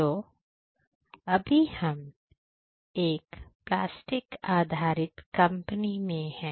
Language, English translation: Hindi, So, right now, we are in a different type of company a plastic based company